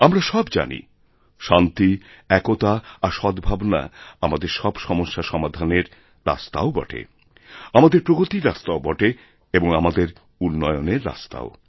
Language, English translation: Bengali, We all know that peace, unity and harmony are the only way to solve our problems and also the way to our progress and development